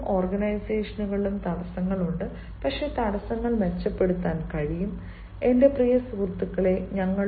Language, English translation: Malayalam, barriers are there in lives and in organizations, but barriers can be improved, my dear friend